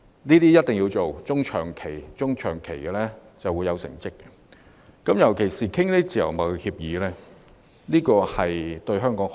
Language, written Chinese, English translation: Cantonese, 這些是必須要做的事，中長期便會見到成績，尤其是自由貿易協議的簽訂對香港有好處。, Nevertheless these tasks must be undertaken and we will see achievements in the medium and long terms . In particular the signing of free trade agreements is good for Hong Kong